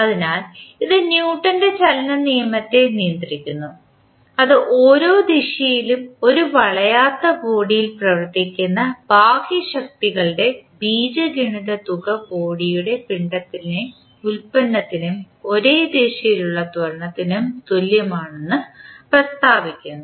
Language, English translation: Malayalam, So, it governs the Newton’s law of motion which states that the algebraic sum of external forces acting on a rigid body in a given direction is equal to the product of the mass of the body and its acceleration in the same direction